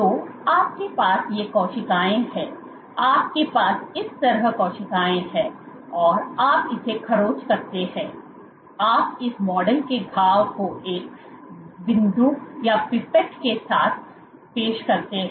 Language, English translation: Hindi, So, you have these cells here you have cells on this side you have cells on this side and you scratch it you introduce this model wound with a pipette